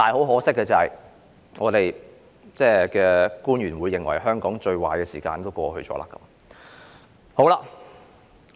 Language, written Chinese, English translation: Cantonese, 可惜的是，我們的特首現在認為香港最壞的時間已經過去。, Unfortunately our incumbent Chief Executive now thinks that the most difficult time for Hong Kong is over